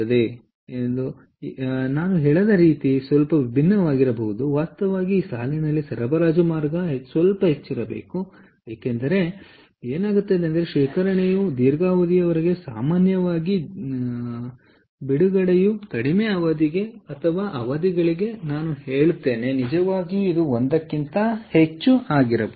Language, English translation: Kannada, ah, actually this line, the supply line, should be a little higher, because what happens is the storage is for longer period, typically is for a longer period, and release is for shorter period or periods, i would say it can be really more than one